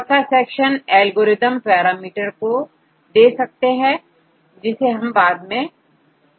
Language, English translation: Hindi, Additionally there is a fourth section algorithm parameters, which we will discuss later